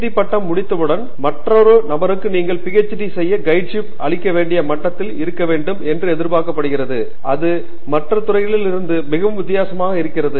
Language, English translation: Tamil, Once you have finished the degree you are also expected to be at a level that you could guide another person to do a PhD, it is very different that from other disciplines